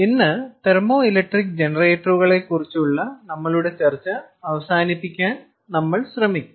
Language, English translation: Malayalam, ah um, today we will try to wrap up and conclude our discussion on thermoelectric generators